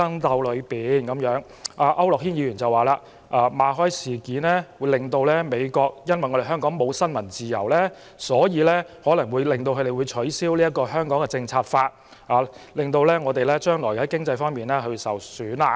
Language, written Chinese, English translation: Cantonese, 區諾軒議員則指出，馬凱事件後，美國會以為香港失去新聞自由，因而有可能取消《香港政策法》，令香港將來經濟受損。, According to Mr AU Nok - hin after the MALLET incident the United States might think that freedom of the press no longer existed in Hong Kong and hence might cancel the Hong Kong Policy Act and Hong Kong might suffer from economic losses in the future